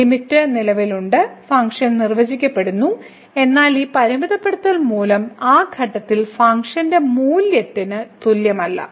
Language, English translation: Malayalam, So, the limit exists the function is defined, but this limiting value is not equal to the functional value at that point